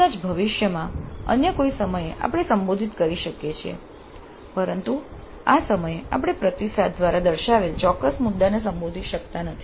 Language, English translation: Gujarati, Maybe in future some other time we can address but at this juncture we are not able to address that particular issue raised by the feedback